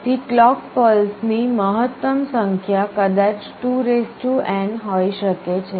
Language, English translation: Gujarati, So, the maximum number of clock pulses required maybe 2n